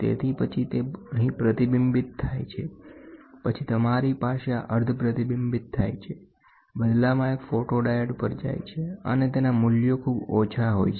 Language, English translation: Gujarati, So, then it gets reflected here, then you have a semi reflecting this, in turn, goes to a photodiode, and this whatever falls on this photodiode the values are very less